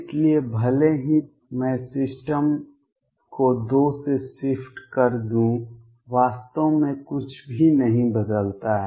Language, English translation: Hindi, So, even if I shift the system by 2 a nothing really changes